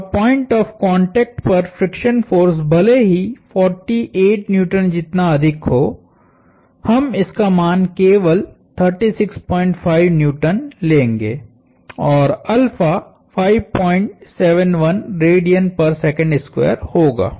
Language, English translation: Hindi, And the friction force at the point of contact, even though it can be as high as 48 Newtons we will only take on a value of 36